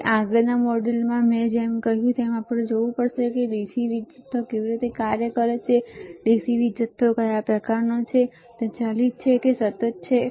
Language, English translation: Gujarati, So, in the next like I said module we have to see how the DC power supply operates, and what are the kind of DC power supply is it variable DC or it is a constant